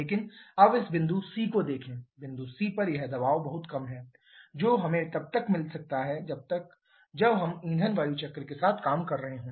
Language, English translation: Hindi, But now look at this point c the pressure at Point c is way below what we could have got had been working with the fuel air cycle